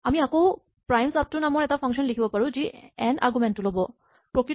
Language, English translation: Assamese, Once again, we can write a function primesupto which takes an argument n